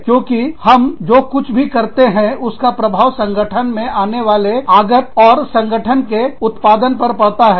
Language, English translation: Hindi, Because, everything we do, has an impact on the input, that goes into the organization, and the output of the organization